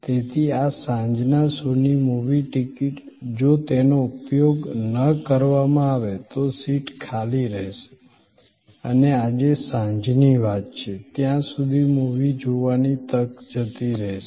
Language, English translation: Gujarati, So, a movie ticket for this evening show, if not utilized that seat will be vacant and that opportunity for seeing the movie will be gone as far as this evening is concerned